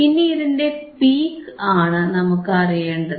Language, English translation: Malayalam, Now, which is the peak, I want to know